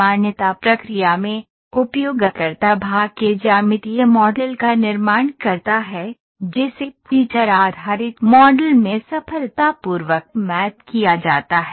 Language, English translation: Hindi, While in the recognition process, the user builds the geometric model of your path, that is successfully mapped into the feature based model